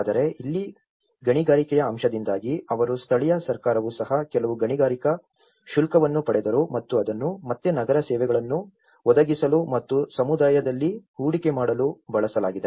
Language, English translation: Kannada, But here, because of the mining aspect, so they also the local government also received some mining fees and which again it has been in turn used to provide the city services and make investments in the community